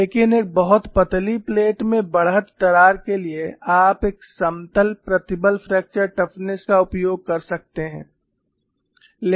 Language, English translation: Hindi, So, in such a problem where you have a thick plate, you have to use the plane strain fracture toughness